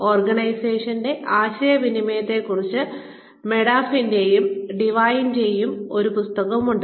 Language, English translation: Malayalam, There is a book by, Modaff and DeWine, on organizational communication